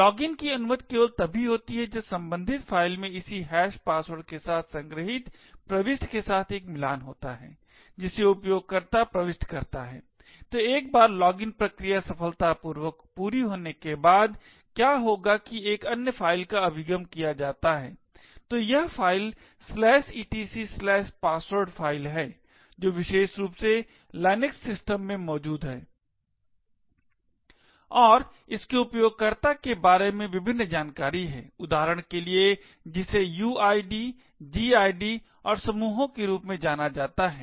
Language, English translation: Hindi, Login is permitted only if there is a match between this entry with in the stored file with the corresponding hashed password which the user enters, so once the login process successfully completes, what would happen is that another file is accessed, so this file is the /etc/password file which is present in the LINUX systems in particular and it contains various information about user, for example that is something known as the uid, gid and groups